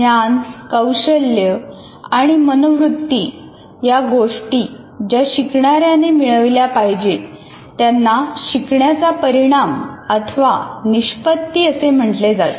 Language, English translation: Marathi, And the knowledge, skills and attitudes, the learner has to construct are what we called as learning outcomes